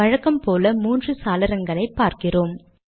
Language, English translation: Tamil, You see three windows as usual